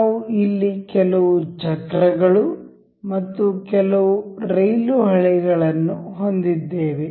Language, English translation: Kannada, Here, we have some wheels and some rail tracks over here